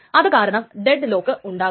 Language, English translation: Malayalam, So that is why it cannot dead lock